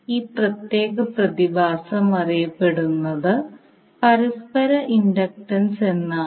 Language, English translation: Malayalam, So now let us see first what is the mutual inductance